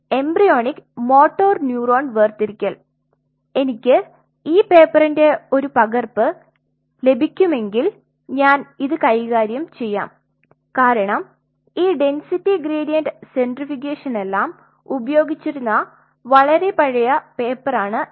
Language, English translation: Malayalam, Embryonic motor neuron separation I will handle this if I could get a copy of this paper because this is a very old paper where all these densities gradient centrifugation has been used